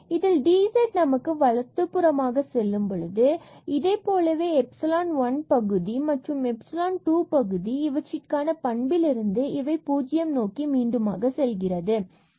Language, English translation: Tamil, And which implies, but this was the dz that goes to the right hand side, and then this is like epsilon 1 term, and this is epsilon 2 term, and they have the property that they will go to 0 again which we have just learned before